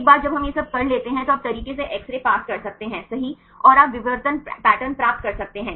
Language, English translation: Hindi, Once we do all this things then you can pass the X rays right and you can get the diffraction pattern